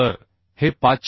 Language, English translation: Marathi, 1 So this is 506